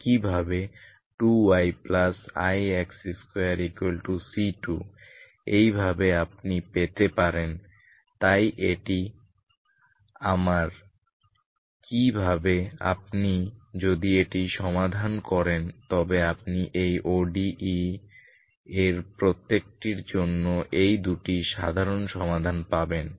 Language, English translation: Bengali, Similarly 2 Y plus I X square equal to C2 this is how you get your so this is my this how if you solve this you get these two general solutions for each of these ODE’s